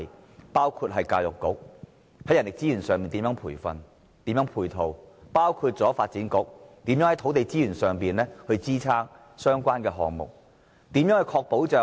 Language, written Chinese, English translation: Cantonese, 這包括教育局，在人力資源上作培訓和配套；也包括發展局，在土地資源上支撐相關的項目。, These departments include the Education Bureau to provide manpower training and support; and also the Development Bureau to supply land for related projects